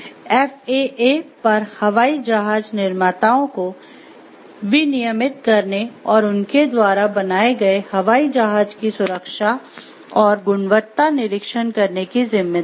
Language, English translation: Hindi, The FAA is charged with regulating airplane manufacturers and making objective safety and quality inspections of the airplanes they build